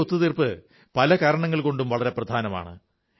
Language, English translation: Malayalam, This agreement is special for many reasons